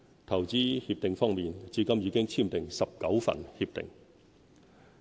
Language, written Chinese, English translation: Cantonese, 投資協定方面，至今已簽訂19份協定。, As regards investment agreements we have already signed 19